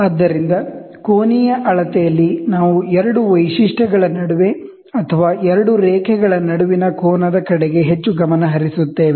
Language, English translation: Kannada, So, in angular measurement, here we are more focused towards the angle between two features or between two lines